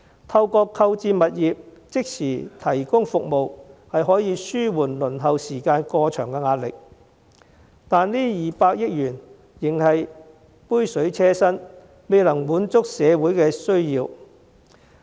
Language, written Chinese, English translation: Cantonese, 透過購置物業即時提供服務，可紓緩輪候時間過長的壓力，但這200億元仍是杯水車薪，未能滿足社會的需要。, The purchase of properties for the immediate provision of services will alleviate the pressure of long waiting time but the 20 billion will still only be a drop in the bucket and fail to meet social needs